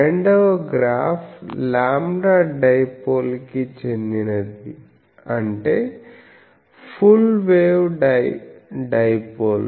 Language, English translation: Telugu, The second graph is for a lambda dipole that means full wave dipole